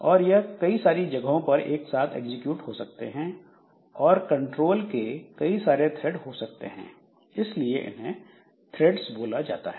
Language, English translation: Hindi, So, this multiple locations can execute at once and multiple threads of control so they are called threads